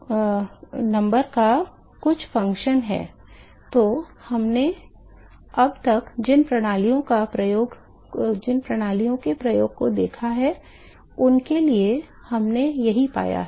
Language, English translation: Hindi, So, this is what we found for all the systems we have looked at so, far